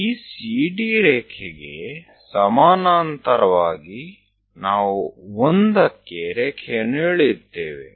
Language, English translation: Kannada, Parallel to this CD line we are going to draw a line at 1